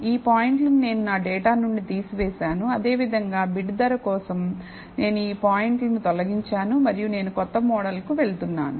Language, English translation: Telugu, These points I have removed from my data and similarly, for bid price also, I have removed these points and I am going to t the new model